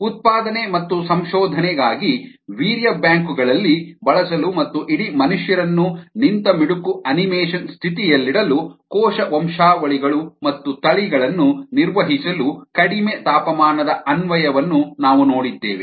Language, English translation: Kannada, then we ah saw the application of a low temperature to maintaining cell lines and strains for production and research in for use in sperm banks as well as to ah, keep whole humans in a state of suspended animation